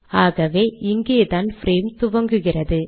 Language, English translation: Tamil, So this is where the frame starts